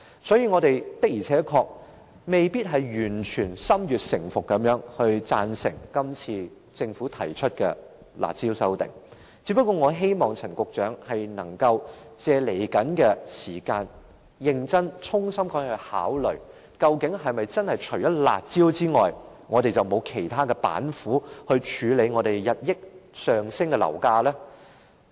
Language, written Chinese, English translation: Cantonese, 所以，我們不是完全心悅誠服地贊成政府今次提出的修訂"辣招"，我亦希望陳局長日後能夠認真考慮，當局是否除了"辣招"之外，已沒有其他板斧處理日益上升的樓價？, Hence we can only grudgingly support the new curb measure proposed by the Government . I also hope that Secretary Frank CHAN will seriously consider whether other measures apart from the curb measures might also be adopted by the authorities to curb the escalating property prices?